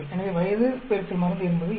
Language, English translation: Tamil, So age into drug is 2